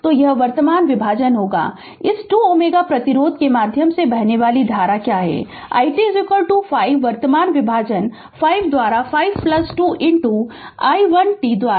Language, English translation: Hindi, So, it will it will be the current division what is the current flowing through this 2 ohm resistance that is your I t is equal to 5 by current division 5 by 5 plus 2 into your i1t right